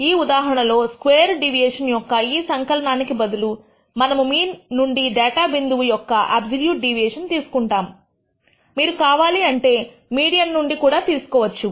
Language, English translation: Telugu, In this case instead of taking the sum squared deviation, we take the absolute deviation of the data point from the mean; you can also take it from the median if you wish